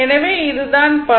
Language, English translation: Tamil, So, this is the power